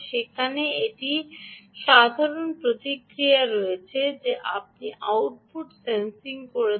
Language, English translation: Bengali, there is a usual feedback that you do output sensing